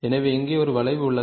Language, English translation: Tamil, So, here is a curve